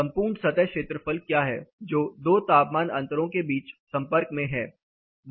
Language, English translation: Hindi, What is the integrated surface area which is exposed between the two temperature differences